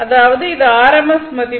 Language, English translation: Tamil, So, this is your rms value